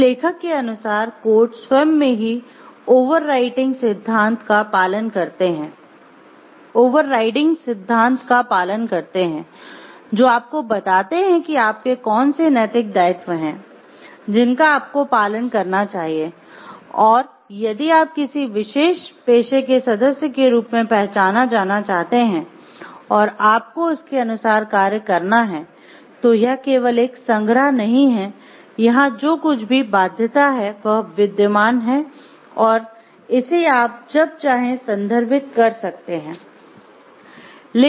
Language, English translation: Hindi, So, according to this author codes are themselves are overriding principles which tells you which are your moral obligations which you must follow and if you want to be recognized as a member of a particular profession and you have to act accordingly it is not just a collection of whatever obligation is there which is existing which you may refer to when you feel like referring to it